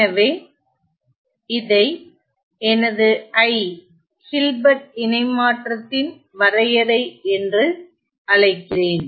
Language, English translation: Tamil, So, let me call this as my definition I, the definition of Hilbert transform